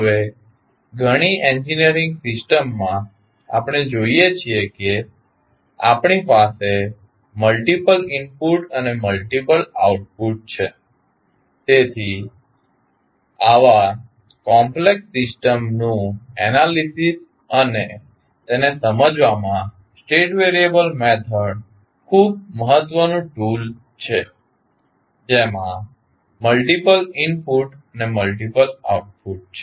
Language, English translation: Gujarati, Now, since many engineering system we see have multiple input and multiple outputs, so that is why the state variable method is very important tool in analysing and understanding such complex systems which have multiple input and multiple outputs